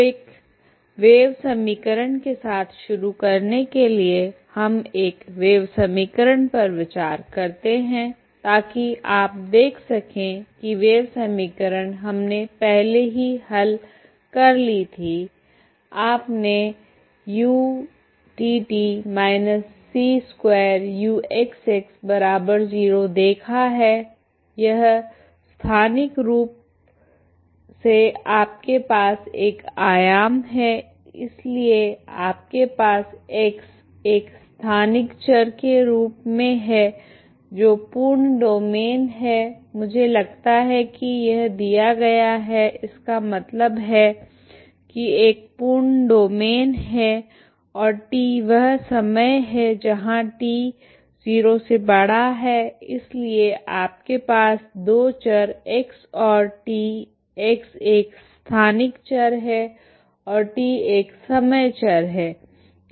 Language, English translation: Hindi, So to start with a wave equation so we consider wave equation so you can see the wave equation is we have already solved how to solve it you have seen U T T minus C square U X X equal to zero, this is spatially you have one dimension, so you have X is in a special variable that is full domain I think it is given so that means is a full domain and T is the time that is T is positive so you have two variables X and T, X is a spatial variable and T is a time variable